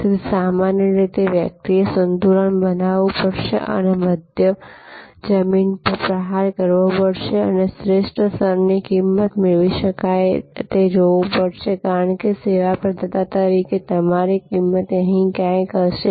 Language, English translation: Gujarati, So, usually therefore, one has to create a balance and strike a middle ground and see the best that can be obtained the best level of price, because your cost as a service provider will be somewhere here